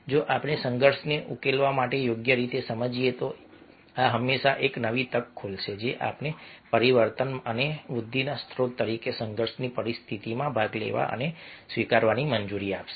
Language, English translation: Gujarati, if we understand properly to resolve conflict, this will open up always a new opportunity that will allow us to participate and part sorry, participate in and even embrace conflict situations at the source of change and growth